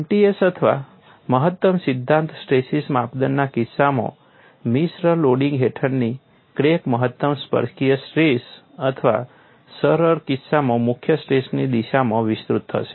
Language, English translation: Gujarati, In the case of m t s or maximum principle stress criterion, crack under mixed loading will extend in the direction of maximum tangential stress or the principle stress in the simplistic case and it is very easy to see